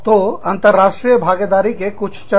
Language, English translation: Hindi, So, some stages of international involvement